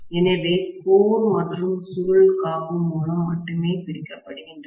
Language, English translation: Tamil, So the core and the coil are separated only by the insulation